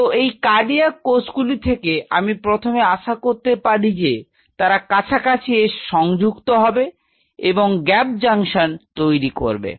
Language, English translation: Bengali, So, the first thing what I anticipate for these cardiac cells to join with each other coming close and form those gap junctions